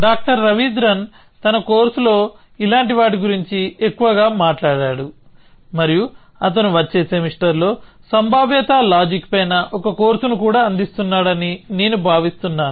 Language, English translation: Telugu, Doctor Ravidran talks more about such things in his course and I think he is also offering a course on probabilistic reasoning next semester